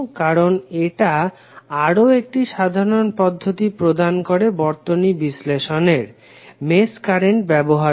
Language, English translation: Bengali, Because it provides another general procedure for analysing the circuits, using mesh currents